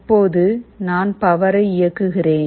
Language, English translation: Tamil, Now, I switch on the power